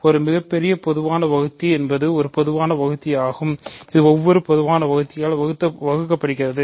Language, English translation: Tamil, So, a greatest common divisor is a common divisor which is divisible by every common divisor